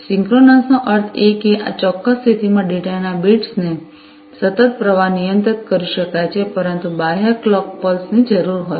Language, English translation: Gujarati, Synchronous meaning that in this particular mode a continuous stream of bits of data can be handled, but requires an external clock pulse